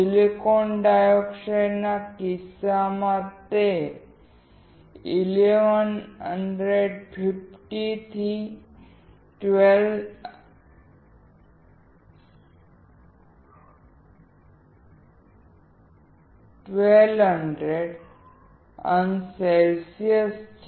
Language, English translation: Gujarati, In case of silicon dioxide, it is 1150 to 1200oC